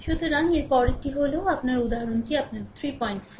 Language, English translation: Bengali, So, next one is next one is your example your 3